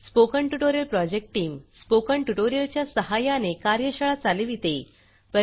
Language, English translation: Marathi, The Spoken Tutorial project team conduct workshops using Spoken Tutorials